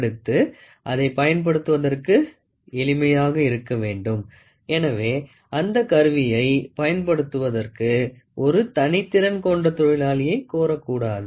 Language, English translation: Tamil, Next, it has to be simple for using, so that means, to say it should not demand a skill the labourer to use this instrument